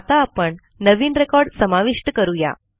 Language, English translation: Marathi, Now let us add a new record